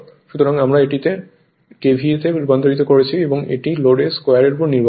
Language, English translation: Bengali, So, we converted it to your KVA and it is dependent on the square of the load